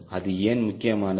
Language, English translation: Tamil, why that is important